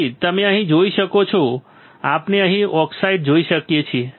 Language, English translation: Gujarati, So, you can see here we can see now oxide we can see here oxide